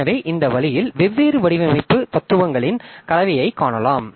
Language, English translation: Tamil, So, in this way you can find the mix of different design philosophies